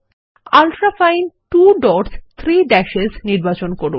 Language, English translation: Bengali, Select Ultrafine 2 dots 3 dashes